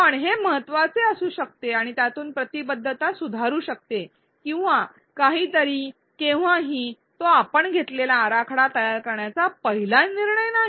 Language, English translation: Marathi, Well, this may be important and it may improve engagement or something at some point it is not the first design decision that you will take